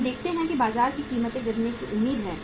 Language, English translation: Hindi, We see that the prices are expected to fall down in the market